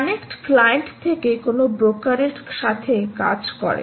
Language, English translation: Bengali, connect works from the client to a broker